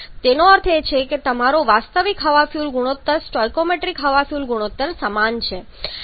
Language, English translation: Gujarati, So, you can easily calculate the theoretical quantity of air and from there you can easily calculate the stoichiometric air fuel ratio